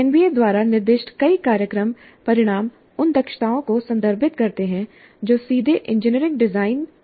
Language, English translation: Hindi, Several program outcomes specified by NBA refer to competencies that are related directly to engineering design